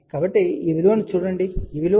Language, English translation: Telugu, So, this value is 0